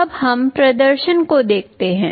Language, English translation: Hindi, Let us look at the demonstration now